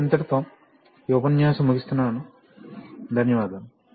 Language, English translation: Telugu, So, that brings us to the end of the lecture, thank you very much